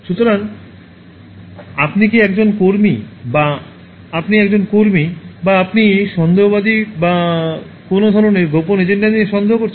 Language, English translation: Bengali, So are you an activist, or are you an in activist, or are you skeptical or are you skeptical with some kind of hidden agenda